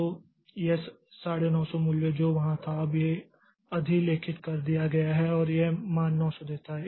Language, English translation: Hindi, So, this 95 value that was there so that is overwritten now and this gets the value 900